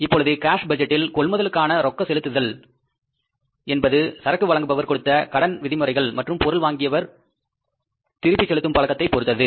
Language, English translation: Tamil, Now, cash budget, that is a cash disbursements for the purchases depend on the credit terms extended by the suppliers and build payment habits of the buyers